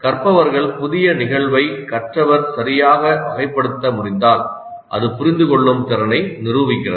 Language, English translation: Tamil, So if the learner is able to classify a new instance correctly that demonstrates the understand competency